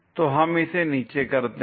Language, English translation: Hindi, So, let us do that down